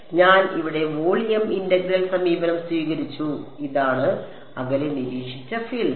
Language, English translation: Malayalam, So, I have just taken the volume integral approach here this is the field observed at a distance R prime